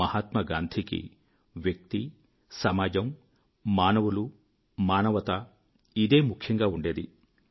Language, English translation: Telugu, For Mahatma Gandhi, the individual and society, human beings & humanity was everything